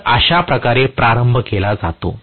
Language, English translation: Marathi, So, this is how the starting is done